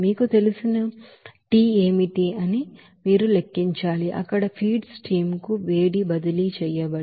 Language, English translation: Telugu, And then again you have to calculate that what should be the you know, heat transfer to the feed stream there